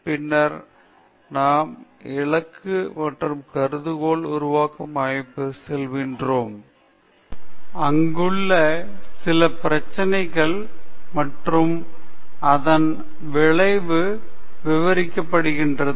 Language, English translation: Tamil, Then, we will go to the setting the objectives and hypothesis formation, where exactly some of the problem and its outcome are narrated